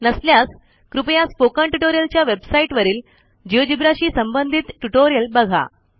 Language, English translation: Marathi, If not, please visit the spoken tutorial website for the relevant tutorials on Geogebra